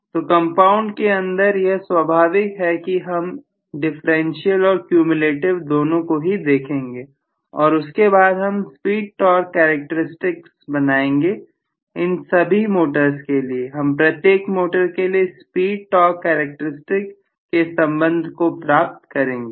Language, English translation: Hindi, So in compound, of course, we will be looking at differential and cumulative both we will be looking at and then we will be deriving the speed torque characteristics for each of this motors, we will be deriving the speed torque characteristics or relationship for each of these motors